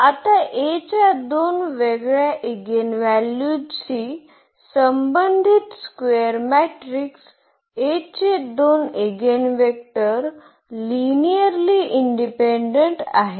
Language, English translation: Marathi, Now, the two eigenvectors of a square matrix A corresponding to two distinct eigenvalues of A are linearly independent